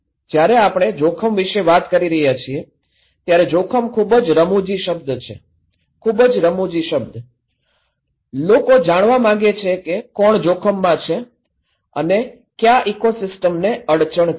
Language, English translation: Gujarati, When we are talking about risk, risk is a very funny word, very very funny word; people want to know that who is at risk, what ecosystem will be hampered